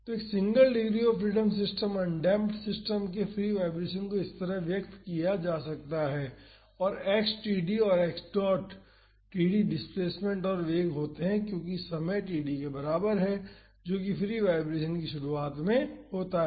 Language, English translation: Hindi, So, the free vibration of a single degree of freedom system an undamped system is expressed like this and x td and x dot td are the displacement and velocity as time is equal to td, that is at the initiation of the free vibration